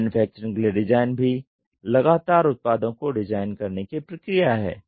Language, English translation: Hindi, Design for manufacturing is also the process of proactively designing the products too